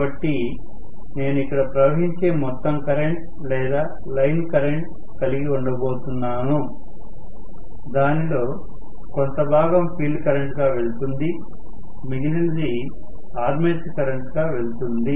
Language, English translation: Telugu, So, this plus, so I am going to have a overall current which is the line current flowing here, part of it goes as field current, rest of it goes as armature current